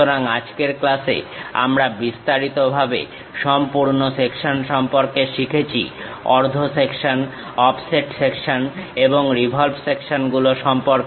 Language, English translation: Bengali, So, in today's class we have learned about full section details, half section, offset section and revolve sections